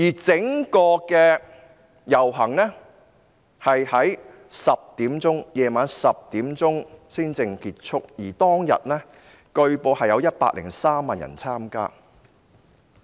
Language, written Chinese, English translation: Cantonese, 整個遊行於晚上10時才結束，而據報當天有103萬人參加。, The march ended at 10col00 pm and was reportedly joined by 1.03 million people